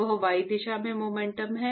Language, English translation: Hindi, That is the momentum in the y direction